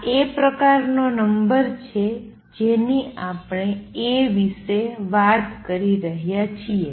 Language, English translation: Gujarati, This is the kind of number that we are talking about A